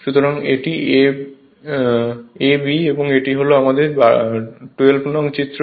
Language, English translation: Bengali, So, this is your figure 12, this is our figure 12